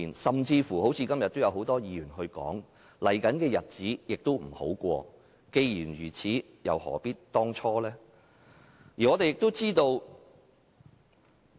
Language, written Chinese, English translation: Cantonese, 今天很多議員都指出，接下來的日子不會好過，既然如此又何必當初？, As many Members have pointed out today the situation would not get any better in the days to come . Would they have done so seeing the consequences today?